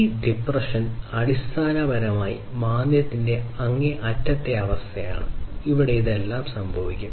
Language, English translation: Malayalam, This depression basically is the extreme case of recession, where all of these things would happen